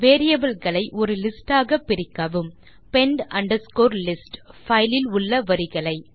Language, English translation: Tamil, Split the variable into a list, pend underscore list, of the lines in the file